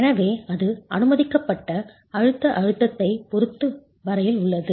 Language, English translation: Tamil, So that is as far as the permissible compressive stress is concerned